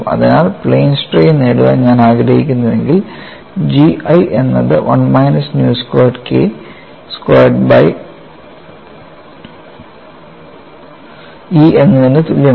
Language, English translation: Malayalam, So, if I do that I get for plane strain situation the relation is G 1 equal to 1 minus nu squared K 1 squared by E